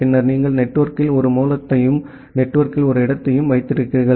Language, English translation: Tamil, And then you have one source in the network and one destination in the network